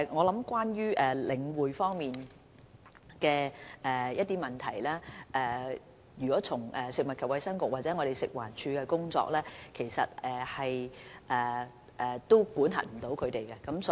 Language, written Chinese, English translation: Cantonese, 有關領展的問題，從食物及衞生局或食環署的工作來看，當局是無法加以管轄的。, On this issue concerning the Link the authorities have no way to impose regulation within the brief of the Food and Health Bureau and FEHD